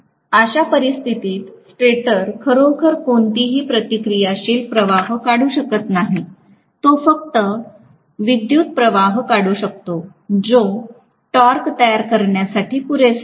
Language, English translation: Marathi, In which case the stator may not really draw any reactive current at all, it may just draw the current which is sufficient enough to produce the torque that is it, nothing more than that